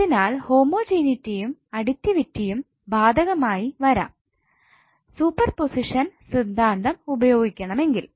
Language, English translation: Malayalam, So the homogeneity and additivity both would be applicable when you have to use super position theorem to solve circuit